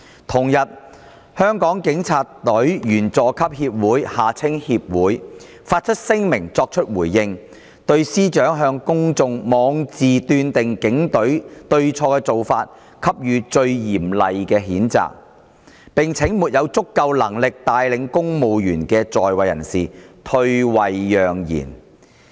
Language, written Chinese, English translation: Cantonese, 同日，香港警察隊員佐級協會發出聲明作回應，對司長向公眾妄自斷定警隊對錯的做法"給予最嚴厲的譴責"，並請沒有足夠能力帶領公務員的在位人士退位讓賢。, On the same day the Junior Police Officers Association of the Hong Kong Police Force JPOA issued a statement in response lodging the most severe condemnation against the drawing of a rash conclusion publicly by CS about the right or wrong of the Hong Kong Police Force and asking those incumbents with insufficient ability to lead the civil servants to vacate their positions for more capable persons